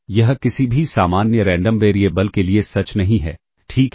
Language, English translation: Hindi, This is not true for any general random variable all right